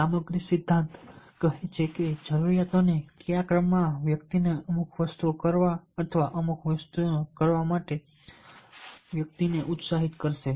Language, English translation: Gujarati, the content theory speaks that the needs, and in what order the needs, will drive the individuals to do certain things or energize the individuals to do certain things